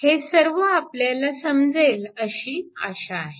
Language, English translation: Marathi, And hope this is understandable to